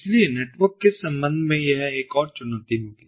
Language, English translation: Hindi, so this is going to be another challenge with respect to network